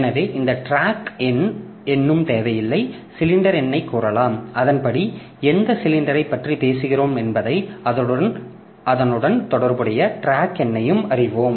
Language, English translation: Tamil, So, we can tell the cylinder number and accordingly we know on which cylinder we are talking about and the corresponding track number